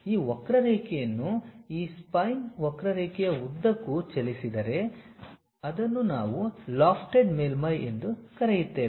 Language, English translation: Kannada, Now, if I really move this curve along that spine curve, whatever the surface it makes that is what we call lofted surface also